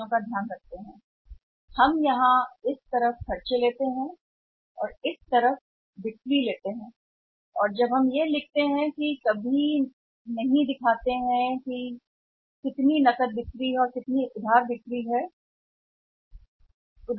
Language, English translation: Hindi, We take these expenses here and this time this side we take by sales and sales when we take we never show the sales as how many shares sales around cash and how many sales are on credit